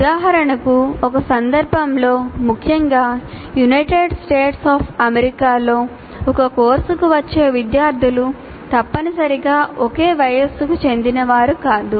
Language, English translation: Telugu, For example, in a context, especially in United States of America, the students who come to a course do not necessarily belong to the same age group